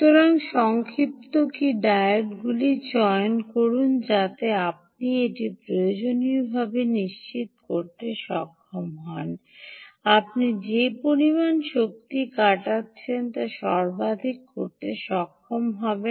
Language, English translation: Bengali, so choose short key diodes so that, ah, you will be able to um, essentially ensure that you will be able to maximize the amount of energy that is harvested